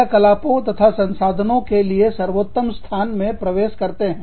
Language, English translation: Hindi, Tapping into the best locations, for activities and resources